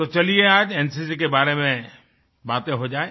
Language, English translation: Hindi, So let's talk about NCC today